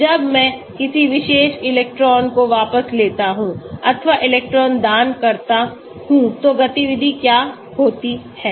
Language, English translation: Hindi, When I put in a particular electron withdrawing or electron donating what is the activity